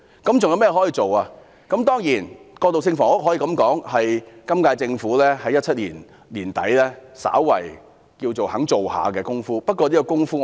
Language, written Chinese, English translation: Cantonese, 當然我們可以說，過渡性房屋是今屆政府在2017年年底稍微可稱為願意做的工夫，不過我希望這工夫......, Undoubtedly we can say that transitional housing maybe something that the current - term Government was willing to do by the end of 2017